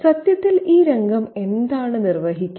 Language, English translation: Malayalam, And what does this scene perform in fact